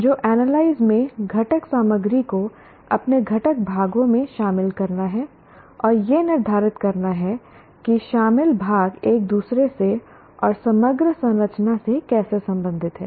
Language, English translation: Hindi, So, analyze involves breaking material into its constituent parts and determining how the parts are related to one another and to an overall structure